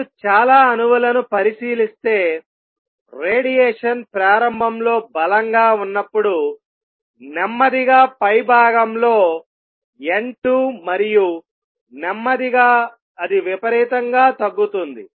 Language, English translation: Telugu, Is if you consider a lot of atoms N 2 in the upper level when the radiate the radiation initially is going to be strong and slowly it will come down exponentially